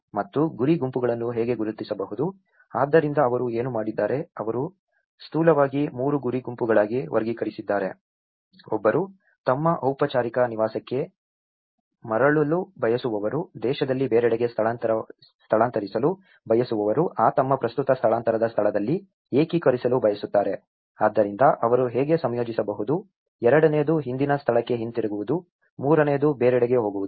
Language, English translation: Kannada, And how do one can identify the target groups, so what they did was, they have broadly classified into 3 target groups, one is those who wish to return to their formal place of residence, those who wish to relocate elsewhere in the country, those who wish to integrate in their current place of displacement, so how they can integrate, the second one is go back to the former place, the third one is go to somewhere else